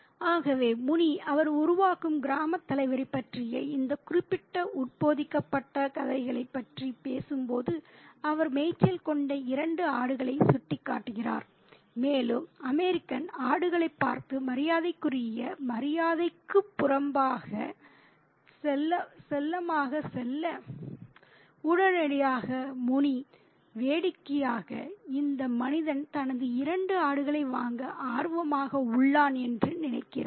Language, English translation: Tamil, So, when when Muni is talking about this particular embedded narrative about the village headman, he makes, he points to the two goats which are grazing by, and the American looks at the goats and goes to them to pet them out of politeness, out of courtesy, and immediately Mooney thinks that, funnily, that this man, this American is interested in purse chasing his two goats